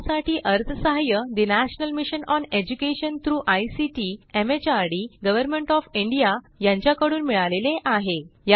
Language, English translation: Marathi, It supported by the National Mission on Education through ICT, MHRD, Government of India